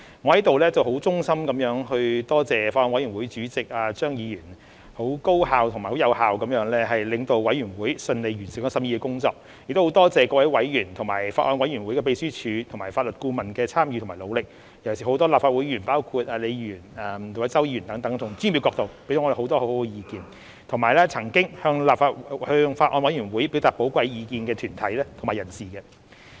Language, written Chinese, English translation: Cantonese, 我在此衷心感謝法案委員會主席張議員，很高效和有效地領導法案委員會順利完成審議的工作，亦感謝各位委員及法案委員會秘書和法律顧問的參與和努力，尤其是很多立法會議員，包括李議員和周議員等，從專業的角度給予我們很多很好的意見，以及曾經向法案委員會表達寶貴意見的團體及人士。, Here I express my heartfelt gratitude to Mr CHEUNG Chairman of the Bills Committee for leading the Bills Committee efficiently and effectively thus facilitating the smooth completion of the scrutiny . I also thank members the Clerk and the Legal Adviser of the Bills Committee for their participation and efforts particularly various Legislative Council Members including Ms LEE and Mr CHOW who have given us a lot of good advice from a professional perspective as well as deputations and individuals who have expressed their valuable views to the Bills Committee